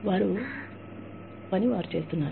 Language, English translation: Telugu, They are doing, their work